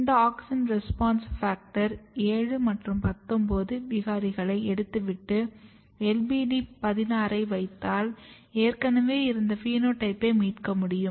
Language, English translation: Tamil, As you can see here that if you take this auxin response factor 7 and 19 mutant and put LBD 16 you can already rescue the phenotype